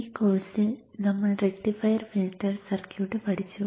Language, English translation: Malayalam, So in this course, in this course we have studied the rectifier filter circuit